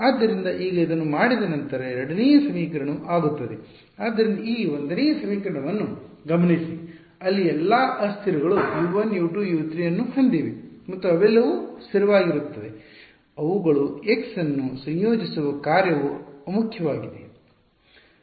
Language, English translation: Kannada, So, now, having done this the second equation becomes, so notice this 1st equation over here what all variables does it have U 1 U 2 U 3 and they are all constants that are a function of x integrating them is trivial